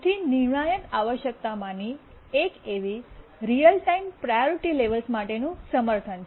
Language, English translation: Gujarati, One of the most crucial requirement is of course support for real time priority levels